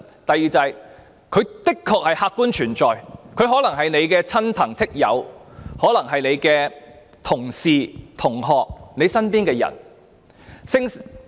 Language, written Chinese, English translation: Cantonese, 第二，他們的確客觀存在，可能是大家的親戚、朋友、同事、同學或身邊的人。, Secondly we should acknowledge their objective existence and they may be your relatives friends colleagues classmates or people around you